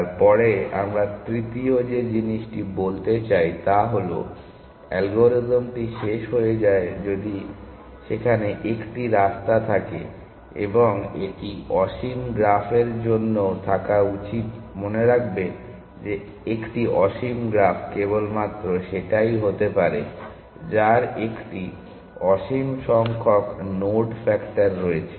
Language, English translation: Bengali, Then the third thing we want to say is that algorithm terminates if there is a path, and it should had even for infinite graphs remember that an infinite graph is only be that which has an infinite number of nodes factor